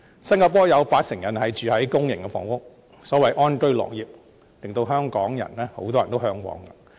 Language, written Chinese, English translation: Cantonese, 新加坡有八成人居住於公營房屋，所謂安居樂業，令很多香港人為之嚮往。, In Singapore 80 % of its people are residing in public housing and this is a peaceful and happy life that a lot of people in Hong Kong are yearning for